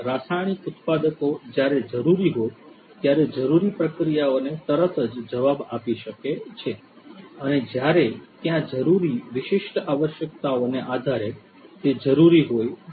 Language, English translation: Gujarati, Chemical manufacturers can respond immediately to the required process whenever it is required as and when it is required based on the specific requirements that might be there